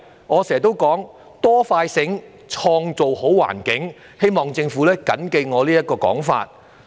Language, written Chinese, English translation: Cantonese, 我經常說，"多、快、醒，創造好環境"，希望政府緊記我這個說法。, I always say Build a better environment with greater concern faster response and smarter services . I hope that the Government will bear in mind what I say